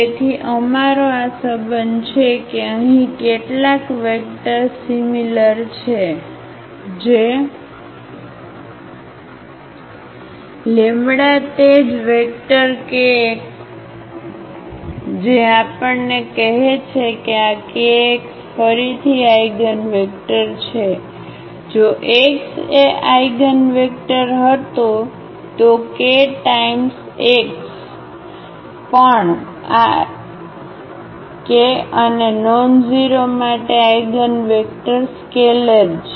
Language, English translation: Gujarati, So, we have this relation that A some vector here is equal to lambda the same vector kx which tells us that this kx is the eigenvector again, if the x was the eigenvector the k times x is also the eigenvector for any this k and nonzero scalar